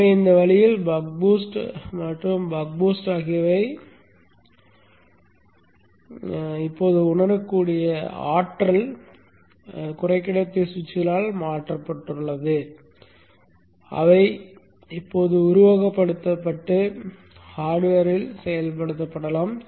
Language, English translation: Tamil, So in this way the buck, the boost and the buck boost are now replaced with practical realizable power semiconductor switches which can now be simulated and even implemented in hardware